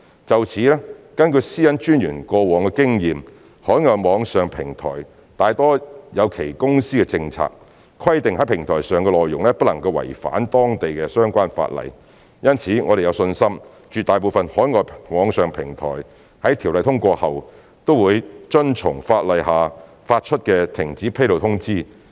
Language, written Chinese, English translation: Cantonese, 就此，根據私隱專員過往的經驗，海外網上平台大多有其公司政策，規定在平台上的內容不能違反當地相關法例，因此我們有信心絕大部分海外網上平台在《條例草案》通過後，均會遵從法例下發出的停止披露通知。, In this regard according to the Commissioners past experience most overseas online platforms have their own corporate policies which stipulate that the content on their platforms must not violate the respective local laws . Therefore we are confident that the vast majority of overseas online platforms will comply with the cessation notice issued under the law after the Bill is passed